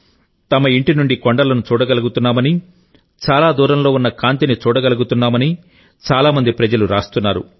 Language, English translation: Telugu, Many people are commenting, writing and sharing pictures that they are now able to see the hills far away from their homes, are able to see the sparkle of distant lights